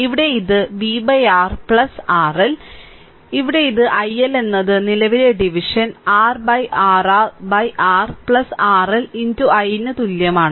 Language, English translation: Malayalam, Here it is v upon R plus R L; here it is i L is equal to the current division R upon R R upon R plus R L into i right